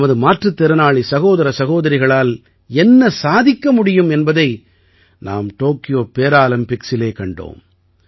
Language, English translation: Tamil, At the Tokyo Paralympics we have seen what our Divyang brothers and sisters can achieve